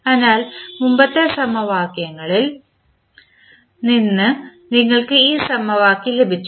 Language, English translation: Malayalam, So, we got this equation from the previous equation